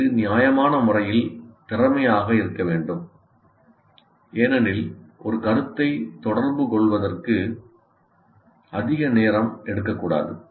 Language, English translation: Tamil, And it should be reasonably efficient because it should not take a lot of time to communicate one concept